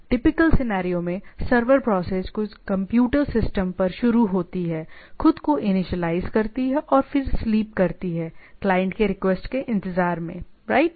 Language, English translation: Hindi, So, typical scenario the server process starts on some computer system, initialize itself and then goes to sleep waiting for the client to request, right